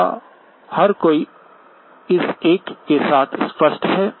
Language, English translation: Hindi, Is everyone clear with this one